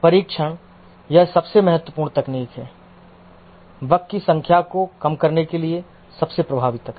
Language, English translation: Hindi, Testing, this is possibly the most important technique, most effective technique to reduce the number of bugs